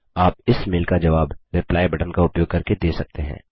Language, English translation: Hindi, You can reply to this mail, using Reply button